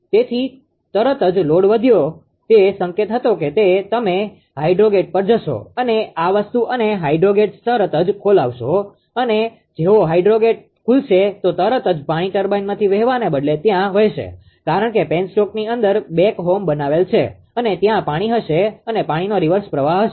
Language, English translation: Gujarati, So, as soon as the load has increase that that ah high, it was the signal you will go ah to that hydro gate and ah this thing and hydro gates will open as soon as that ah hydro gate opens immediately water instead of traveling to as a turbine actually because of the back home created inside the penstock and water will be there will be rivers flow of water